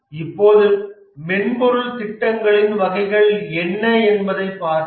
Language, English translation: Tamil, Now let's look at what are the types of software projects